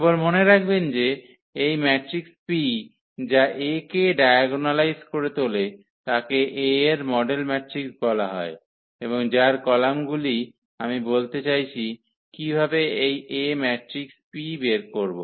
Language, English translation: Bengali, So, just a note here that this matrix P which diagonalizes A is called the model matrix of A and whose columns, I mean the point is how to find this A matrix P